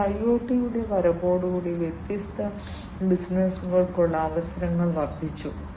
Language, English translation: Malayalam, It has advent of IoT has increased, the opportunities for different businesses